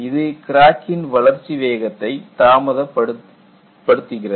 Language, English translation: Tamil, During that phase, the crack growth rate is retarded